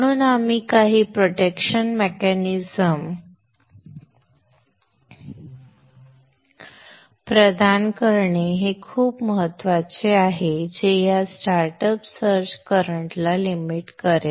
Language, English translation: Marathi, Therefore it is very very important that we provide some protection mechanism which will limit this startup search current